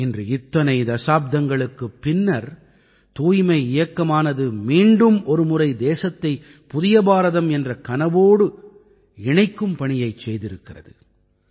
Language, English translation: Tamil, Today after so many decades, the cleanliness movement has once again connected the country to the dream of a new India